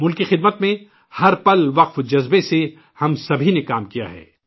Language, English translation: Urdu, All of us have worked every moment with dedication in the service of the country